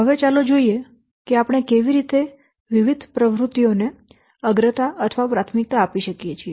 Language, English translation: Gujarati, Now let's see how you can prioritize the monitoring activities